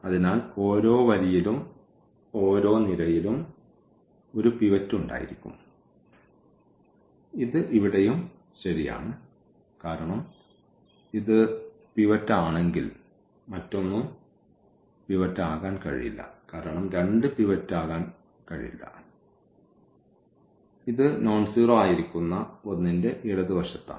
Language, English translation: Malayalam, So, each row and each column will have at most one pivot that is also true this is the fact here because if this is the pivot then nothing else can be the pivot because 2 cannot be pivot it is left to this something nonzero is sitting